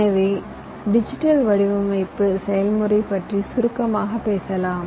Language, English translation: Tamil, so lets briefly talk about the digital design process